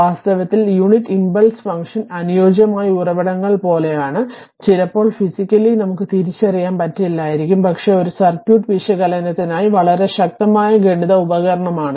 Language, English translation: Malayalam, Actually, physically unit impulse function is like ideal sources volt ideal sources or resistor that your unit in physically it is not realizable, but it is a very strong mathematical tool right, for circuit analysis